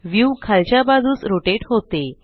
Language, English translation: Marathi, The view rotates downwards